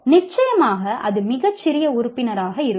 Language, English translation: Tamil, Of course, that will be very small number